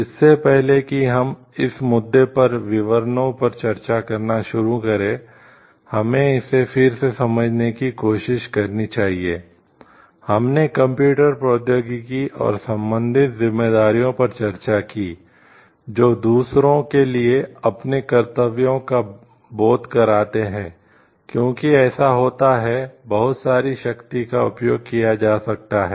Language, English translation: Hindi, Again before we start discussing in details on this issue, we must try to understand this is again of like, we discussed about computer technology and the related responsibilities understanding one s own duties, towards the others because it gives so, much of power so, that power can be used in a positive sense, or it can be used in a negative sense also